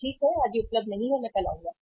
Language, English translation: Hindi, Okay today it is not available I will come tomorrow